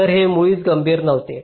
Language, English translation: Marathi, so this was critical at all